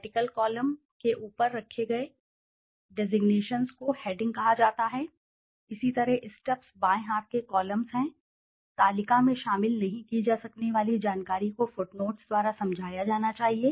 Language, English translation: Hindi, Designations placed over the vertical columns are called headings similarly the stubs are the left hand columns, information that cannot be incorporated in the table should be explained by footnotes